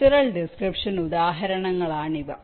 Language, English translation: Malayalam, these are examples of structural descriptions